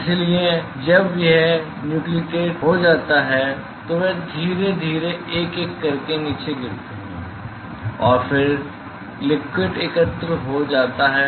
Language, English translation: Hindi, So, when it gets nucleated they slowly drop down one by one and then the liquid is collected